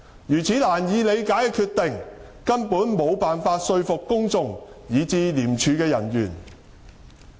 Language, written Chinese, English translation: Cantonese, 如此難以理解的決定，根本無法說服公眾，以至廉署的人員。, This inexplicable decision failed to convince the public and even the ICAC staff